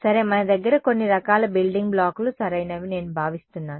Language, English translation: Telugu, Ok so, I think we have a some sort of building blocks are correct